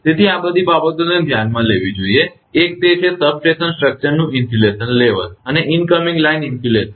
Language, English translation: Gujarati, So, all these things one has to consider, one is that insulation level of the substation structure and the incoming line insulation